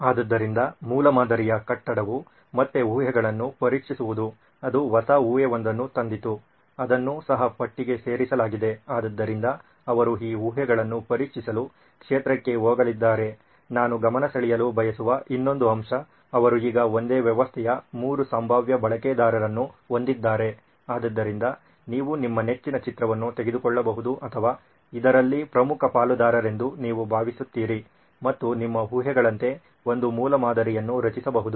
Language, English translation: Kannada, So prototyping building is to test the assumptions again there was a new assumption that came up, that was also added to the list, so they are going to go to the field to test these assumptions, one more point I would like to point out is they had now they have three potential users of the same system, so you can take a pic on which is your favourite or you think is the most important stakeholder in this and you can build a prototype for them, as the assumptions for them